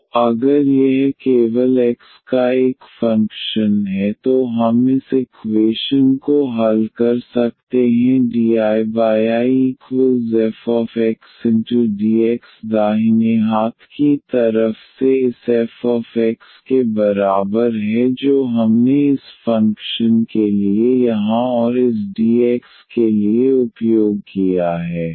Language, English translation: Hindi, So, if this is a function of x only then we can solve this equation dI over this I from the right hand side is equal to this f x which we have used for this function here and this dx